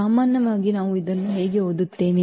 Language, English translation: Kannada, In general, how do we read this